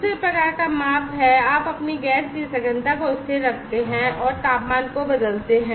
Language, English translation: Hindi, The second type of measurement is that you keep your gas concentration constant and vary the temperature